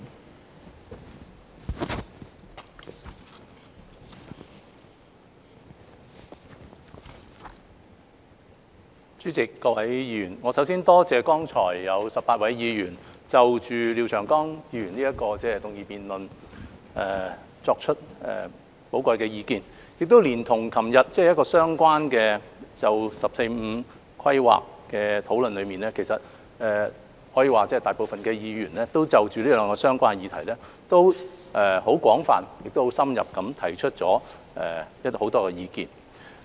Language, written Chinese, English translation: Cantonese, 代理主席、各位議員，我首先感謝剛才有18位議員就廖長江議員的議案提出寶貴意見，連同昨天就《十四五規劃綱要》的相關討論，可以說大部分議員已就這兩項相關的議題廣泛而深入地提出了很多意見。, Deputy President and Honourable Members first of all I would like to thank the 18 Members for their valuable views just given on Mr Martin LIAOs motion . Together with yesterdays discussion on the Outline of the 14th Five - Year Plan it can be said that a lot of Members have expressed extensive and in - depth views on these two related subjects